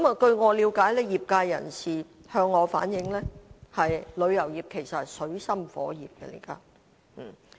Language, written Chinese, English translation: Cantonese, 據我了解及業界人士向我反映，旅遊業現時其實是在水深火熱之中。, According to my understanding and as informed by some traders the tourism industry is actually in dire straits now